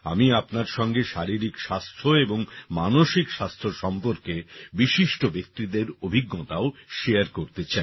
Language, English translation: Bengali, I also want to share with you the experiences of wellknown people who talk about physical and mental health